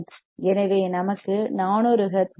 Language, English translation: Tamil, So, we will get 400 hertz